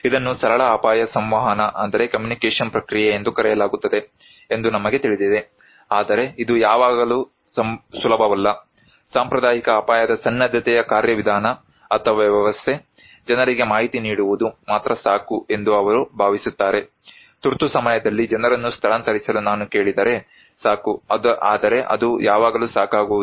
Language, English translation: Kannada, We know this is called a simple risk communication process, right but it is not always easy, the conventional risk preparedness mechanism or system, they think that only providing information to the people is enough, if I ask people to evacuate during emergency that is enough but that is not always enough